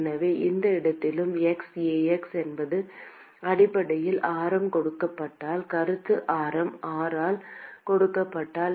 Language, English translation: Tamil, So, at any location x, A is essentially the supposing if the radius is given by supposing if the radius is given by r